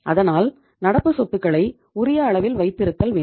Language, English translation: Tamil, So we have to have optimum level of current assets